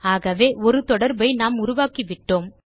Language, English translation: Tamil, So there, we have set up one relationship